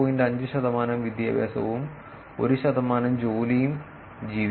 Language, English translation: Malayalam, 5 percentage of education and 1 percent of employment